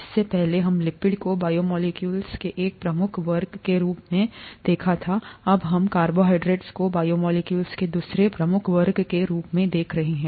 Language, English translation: Hindi, Earlier we saw lipids as one major class of biomolecules, now we are seeing carbohydrates as the second major class of biomolecules